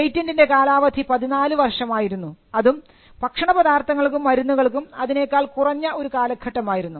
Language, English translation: Malayalam, The term of a patent was 14 years and the term of a patent for a food medicine or drug was a shorter period